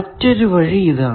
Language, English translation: Malayalam, What was the second path